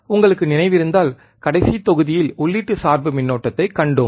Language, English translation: Tamil, iIf you remember, we have in the last module we have seen input bias current